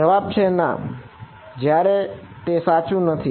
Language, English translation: Gujarati, Answer is no, when is it not correct